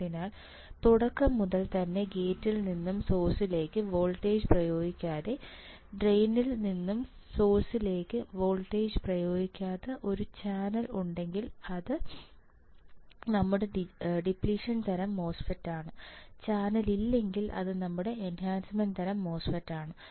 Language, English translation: Malayalam, So, from the beginning without applying gate to gate to source voltage, without applying drain to source voltage if there is a channel in the beginning its a depletion type, if there is no channel it is your enhancement type